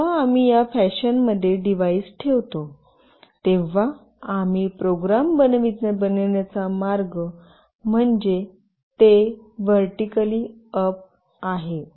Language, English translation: Marathi, Now, the way we have made the program, when we place the device in this fashion meaning it is vertically up